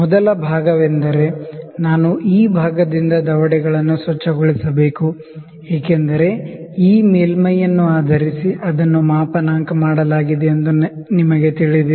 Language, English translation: Kannada, So, the first part is I have to clean the jaws from this part because you know it is calibrated based upon this surface